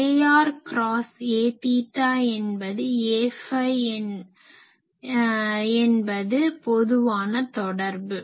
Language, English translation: Tamil, So, a r cross a theta that will give me a phi, but this is a general relation